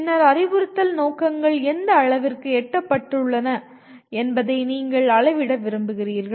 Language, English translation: Tamil, And then having done that you want to measure to what extent they have been attained, the instructional objectives have been attained